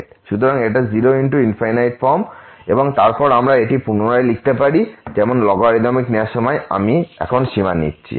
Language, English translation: Bengali, So, 0 into infinity form and then we can rewrite it as while taking the logarithmic I am we taking the limit now